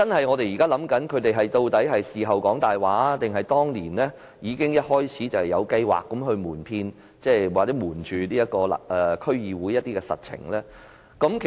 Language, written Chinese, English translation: Cantonese, 我們懷疑究竟政府是事後說謊，還是當年一開始已有計劃瞞騙或對區議會隱瞞實情？, We doubt whether the Government lied after the event or whether it had the intent at the outset to deceive or hide the facts from the District Council